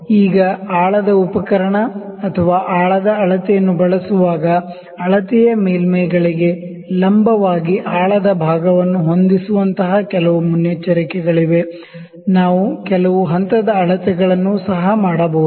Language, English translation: Kannada, Now while using the depth instrument or the depth measurement there are certain precautions like set the depth part perpendicular to the measured surfaces, also we can do some step measurement